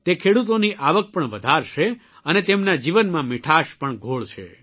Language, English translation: Gujarati, This will lead to an increase in the income of the farmers too and will also sweeten their lives